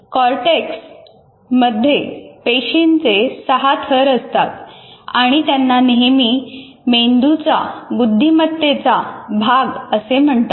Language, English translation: Marathi, And the cortex is rich in cells arranged in six layers and is often referred to as a brain's gray matter